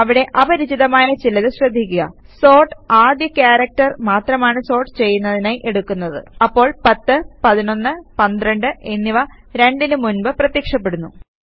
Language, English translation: Malayalam, Notice something is strange in there, sort just looks at the first character to sort, so 10,1112 appears before the number 2